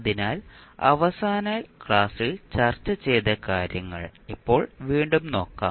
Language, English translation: Malayalam, So, now let us recap what we discussed in the last class